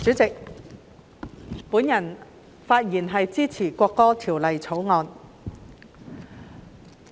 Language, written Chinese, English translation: Cantonese, 主席，我發言支持《國歌條例草案》。, President I speak in support of the National Anthem Bill the Bill